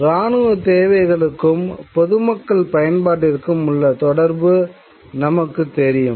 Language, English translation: Tamil, We know the linkage between military needs and civilian usage